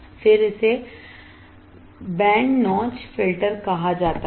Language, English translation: Hindi, Then it is called band notch filter